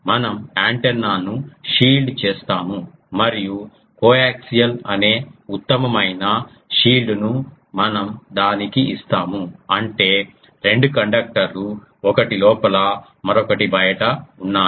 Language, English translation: Telugu, So, what we do we shield the antenna and the best possible shield is we give it a coaxial thing, that means, two conductors um one is inside another is outside